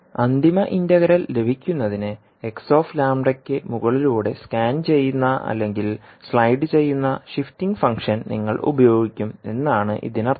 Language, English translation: Malayalam, So it means that you will utilise the shifting function which will scan or slide over the x lambda to get the final integral